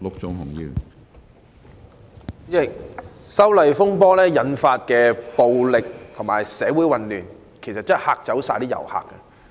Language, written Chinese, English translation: Cantonese, 主席，修例風波引發的暴力事件和社會混亂真的是嚇走了所有遊客。, President tourists have all been scared away by the violent incidents and social unrest triggered by the disturbances arising from the proposed legislative amendments